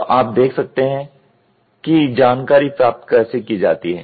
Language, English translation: Hindi, So, you can see acquiring of information